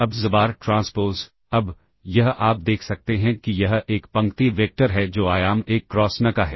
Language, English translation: Hindi, Now xbar transpose, now, this you can see this is a row vector which is of dimension 1 cross n